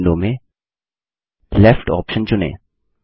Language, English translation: Hindi, In the new window, choose the Left option